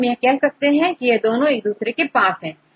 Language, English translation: Hindi, So, now, we can say these two are close to each other